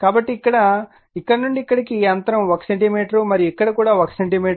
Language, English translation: Telugu, So, from here to here this gap is 1 centimeter right and here also 1 centimeter